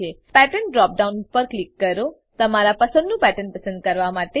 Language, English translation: Gujarati, Click on Pattern drop down, to select a pattern of your choice